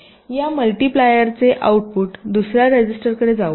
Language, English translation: Marathi, the output of this multiplier can go to another register, say r three